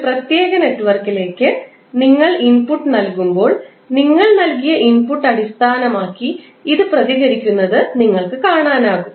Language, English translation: Malayalam, So, you can see that when you give input to a particular network it will respond based on the input which you have provided